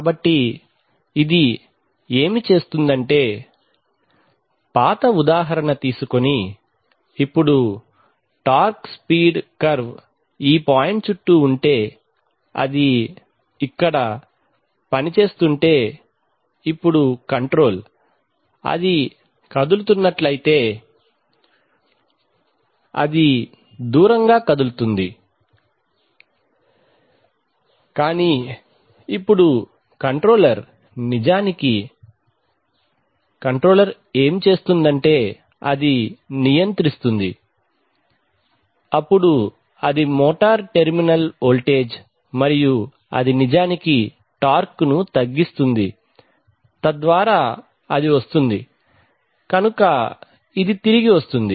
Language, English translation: Telugu, So what this will do is actually that, giving, taking the old example, now if the torque speed curve is around this point then here, if it is operating then now the control, now if it tends to move it will tend to move away, but now the controller will actually what the controller will do is that is the controller will control, then let us say the motor terminal voltage and it will actually reduce the torque so that it come, so it comes back